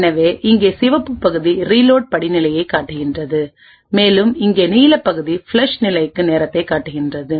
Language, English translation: Tamil, So the red part over here shows the reload step, and the blue part over here shows the time for the flush step